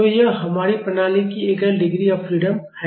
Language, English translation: Hindi, So, this is our single degree of freedom system